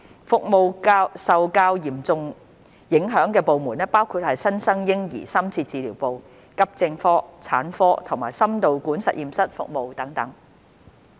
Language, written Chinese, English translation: Cantonese, 服務受較嚴重影響的部門包括新生嬰兒深切治療部、急症科、產科及心導管實驗室服務等。, Departments that were more severely affected included the Neonatal Intensive Care Units the Accident Emergency AE Departments Obstetrics Departments and Cardiac Catheter Laboratory services etc